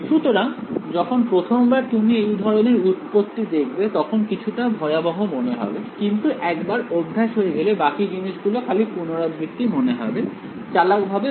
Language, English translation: Bengali, So, the first time you see this kind of our derivation its seem to little intimidating, but you get the hang of it, rest of the stuff is just repeating this in you know being clever about the boundary of the problem and just doing this manipulation